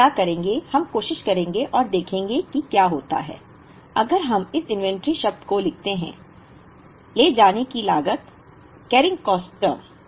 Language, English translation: Hindi, Now, what we will do is we will try and see what happens if, we write this inventory term, the carrying cost term